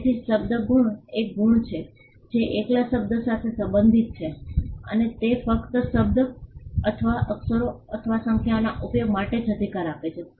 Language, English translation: Gujarati, So, word marks are marks which pertain to a word alone, and it gives the right only for the use of the word or the letters or the numbers